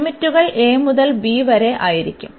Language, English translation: Malayalam, So, the limits of y will be from c to d